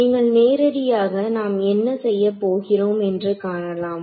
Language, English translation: Tamil, So, you can straight away see what we are going to do